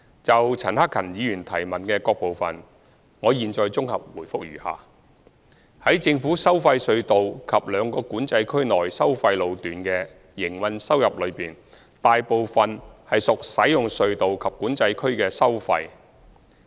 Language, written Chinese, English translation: Cantonese, 就陳克勤議員質詢的各部分，我現綜合答覆如下：在政府收費隧道及兩個管制區內收費路段的營運收入中，大部分屬使用隧道及管制區的收費。, My consolidated reply to the various parts of Mr CHAN Hak - kans question is as follows Tolls collected account for the majority of the operating revenues of the government tolled tunnels and the tolled sections within the two Control Areas